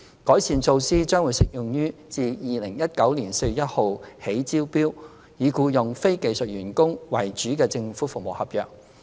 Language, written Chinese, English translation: Cantonese, 改善措施將適用於自2019年4月1日起招標，以僱用非技術員工為主的政府服務合約。, The improvement measures will be applicable to government service contracts which are tendered from 1 April 2019 onwards and rely heavily on the deployment of non - skilled employees